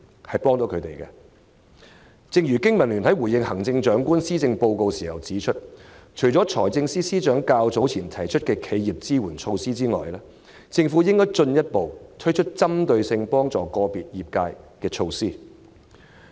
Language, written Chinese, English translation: Cantonese, 正如香港經濟民生聯盟在回應行政長官施政報告時指出，除了財政司司長較早前提出的企業支援措施外，政府應進一步推出針對個別業界的支援措施。, Just as the Business and Professionals Alliance for Hong Kong BPA has pointed out in its response to the Chief Executives Policy Address apart from the measures put forth by the Financial Secretary earlier on to support enterprises the Government should further roll out support measures that target at specific industries